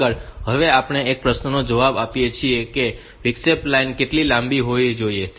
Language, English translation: Gujarati, Next, we answer the question that is how long should the interrupt line remain high